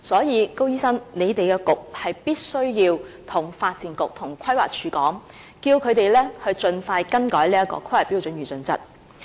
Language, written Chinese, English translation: Cantonese, 因此，高醫生，你們的政策局必須要求發展局和規劃署盡快更改規劃標準與準則。, For this reason Dr KO your Policy Bureau must ask the Development Bureau or the Planning Department to revise the planning standards and guidelines as soon as possible